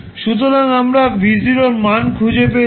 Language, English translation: Bengali, So, we have found the value of v naught